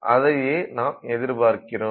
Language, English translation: Tamil, So, that is what we will see here